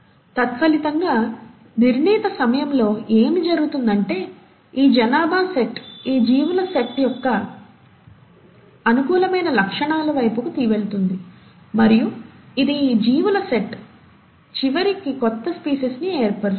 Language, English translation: Telugu, As a result, what’ll happen in due course of time is that, this set of population will tend to move towards the favourable acquired characteristics of this set of organisms and it is this set of organisms which then eventually will form a new species